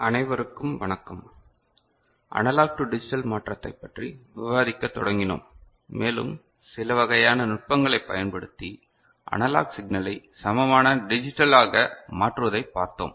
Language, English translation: Tamil, Hello everybody, we started discussing Analog to Digital Conversion and we had seen certain types of techniques by which analog signal can be converted to digital equivalent ok